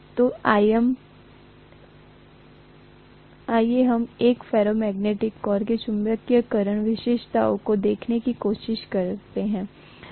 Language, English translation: Hindi, So let us try to look at the magnetization characteristics of a ferromagnetic core, right